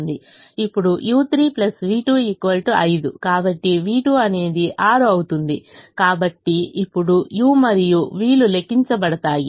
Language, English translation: Telugu, now u three plus v two is equal to five, so v two will become six